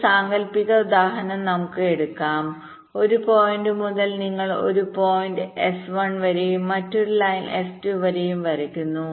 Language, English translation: Malayalam, it may so happen that lets take hypothetic example that from one point you are drawing a line to a point s one and another line to a point s two